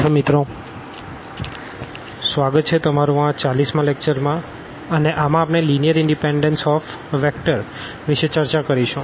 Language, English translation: Gujarati, So, welcome back and this is lecture number 40, and we will be talking about the Linear Independence of Vectors